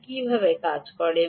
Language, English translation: Bengali, it doesn't work that way